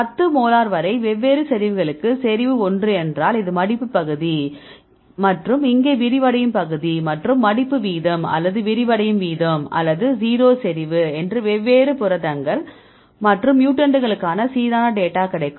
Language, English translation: Tamil, So, you see the concentration one to the different concentrations up to 10 molar and if you see this is the folding region and here this is unfolding region and we extrapolate to 0 to get the folding rate or unfolding rate or 0 concentration right because to get the uniform data for different proteins and mutants, right